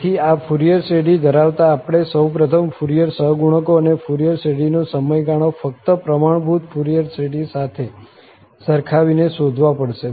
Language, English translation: Gujarati, So, having this Fourier series, we have to first find the Fourier coefficients and the period of the Fourier series just by comparing this with the standard Fourier series